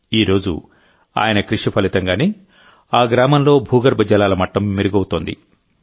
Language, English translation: Telugu, Today, the result of his hard work is that the ground water level in his village is improving